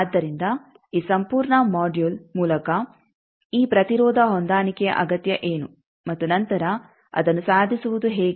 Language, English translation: Kannada, So, by this whole module we have seen that this impedance matching, what is the need and then how to achieve that